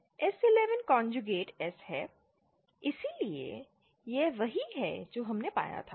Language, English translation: Hindi, S11 conjugate S, so this is what we had found out